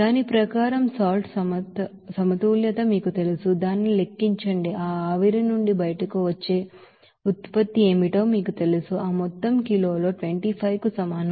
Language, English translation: Telugu, So according to that you know salt balance we can simply you know calculate this you know what will be the product that will be coming out from that evaporation, that amount is equal to 25 in kg